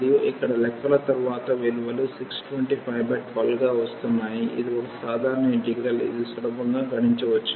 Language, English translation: Telugu, And, after the calculations here the values are coming as a 625 by 12 it is a simple integral one can easily compute